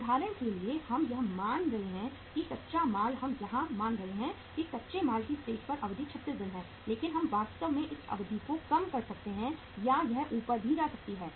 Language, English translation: Hindi, For example we are assuming that raw material we are assuming here that the duration at the raw material stage is 36 days but we can actually we can reduce this duration also or it can go up also